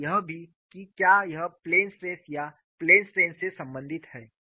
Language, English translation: Hindi, This we have to keep in mind and also whether it is related to plane stress or plane strain